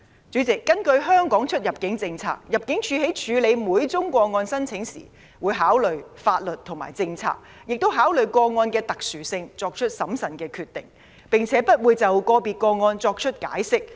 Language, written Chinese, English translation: Cantonese, 主席，根據香港出入境政策，入境處在處理每宗個案申請時，會按照法律和政策，考慮個案的特殊性後才作出審慎的決定，並且不會就個別個案作出解釋。, President under the immigration policy of Hong Kong when dealing with each application ImmD considers the special conditions of the case before making a prudent decision in accordance with laws and policies and it offers no explanation on individual cases